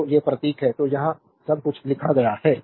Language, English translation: Hindi, So, these are symbols so, everything is written here